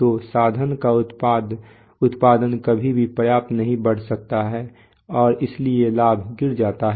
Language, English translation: Hindi, So the output of the instrument can never rise enough and therefore the gain falls